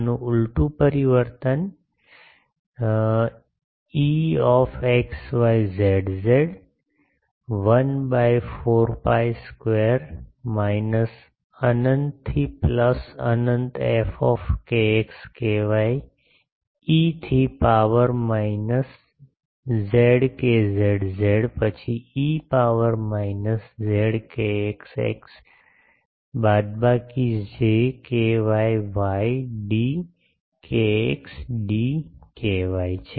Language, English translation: Gujarati, Inverse transform of this is E x y z is 1 by 4 pi square minus infinity to plus infinity f k x k y e to the power minus j k z z then e to the power minus j k x x minus j k y y d k x d k y ok